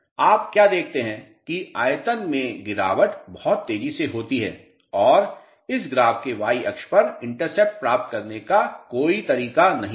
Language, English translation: Hindi, What you notice is that drop in volume is very very fast and there is no way to get intercept, you know, of this graph onto the y axis